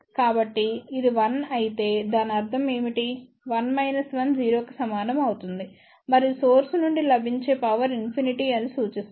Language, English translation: Telugu, So, if it is 1, what it would mean 1 minus 1 will be equal to 0 and that would imply that power available from the source is infinity